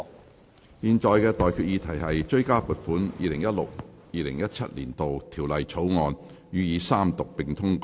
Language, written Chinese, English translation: Cantonese, 我現在向各位提出的待議議題是：《追加撥款條例草案》予以三讀並通過。, I now propose the question to you and that is That the Supplementary Appropriation 2016 - 2017 Bill be read the Third time and do pass